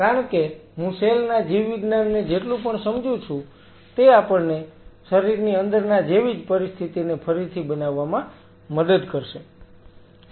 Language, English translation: Gujarati, Because what is I understand the biology of the cells it will help us to recreate a situation which is similar to that of inside the body